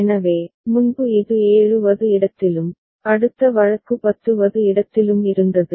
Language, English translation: Tamil, So, earlier it was in 7th and similarly for the next case was in 10th